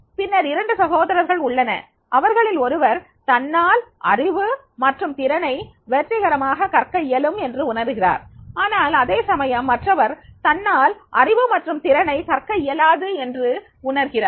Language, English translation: Tamil, Then the two brothers, one feel that yes he can successfully learn knowledge and skills while the other fields know I cannot learn knowledge and skills